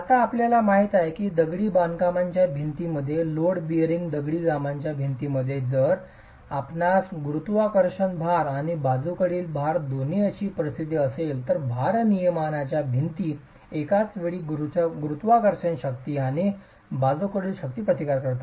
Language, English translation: Marathi, Now you know that in masonry walls, in load bearing masonry walls, if it is a situation where you have both gravity loads and lateral loads, the load bearing walls are simultaneously resisting the gravity forces and the lateral forces